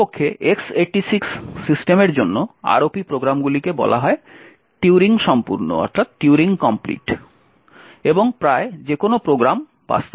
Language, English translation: Bengali, In fact, for X86 systems the ROP programs are said to be Turing complete and can implement just about any program